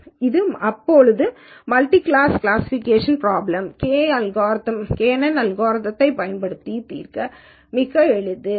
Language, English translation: Tamil, So, multi class problems are also very very easy to solve using kNN algorithm